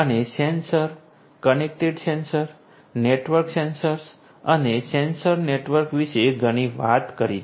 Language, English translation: Gujarati, We have talked about a lot about sensors, connected sensors, networked sensors, sensor networks